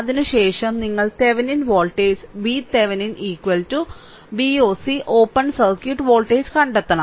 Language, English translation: Malayalam, And then, after that you have to find out your Thevenin voltage V Thevenin is equal to V oc, the open circuit voltage